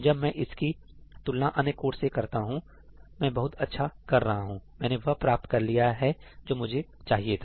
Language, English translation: Hindi, When I compare it to all the other codes, I am doing quite well; I have achieved what I wanted to do